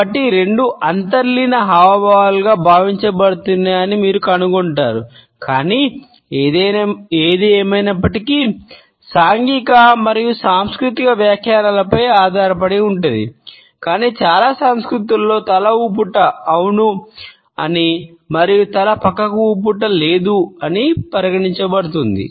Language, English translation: Telugu, So, you would find that both are presumed to be inborn gestures, but; however, nod is to be understood, depends on the social and cultural interpretations, but in most cultures are not is considered to be a yes and a shake is considered to be a no